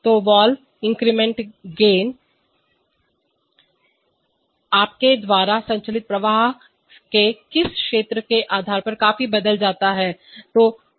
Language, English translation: Hindi, So, the valve incremental gain changes considerably depending on in which region of flow you are operating